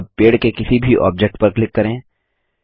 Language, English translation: Hindi, Now click on any object in the tree